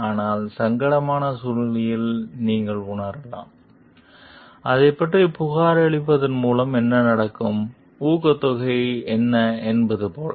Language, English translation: Tamil, But, you may feel like in a situation of dilemma, like what is the incentive do I get by reporting about it